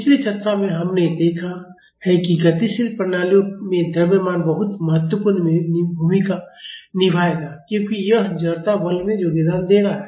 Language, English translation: Hindi, In the previous discussion, we have seen that mass will play a very important role in dynamic systems because it is contributing to the inertia force